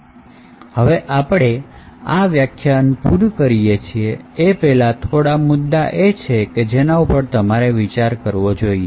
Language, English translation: Gujarati, So, before we complete this lecture there is some points that you can think about